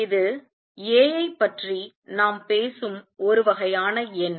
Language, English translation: Tamil, This is the kind of number that we are talking about A